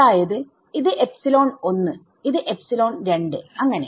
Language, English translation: Malayalam, So, this is some epsilon 1, this is some epsilon 2 and so on right